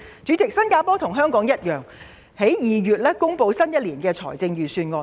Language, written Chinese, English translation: Cantonese, 主席，新加坡與香港一樣，在2月公布了新一年的預算案。, President similar to Hong Kong Singapore announced its budget for the following year in February